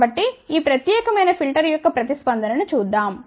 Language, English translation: Telugu, So, let us see the response of this particular filter